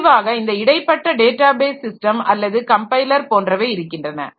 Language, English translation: Tamil, And finally came the intermediaries like the database system or many other compilers and all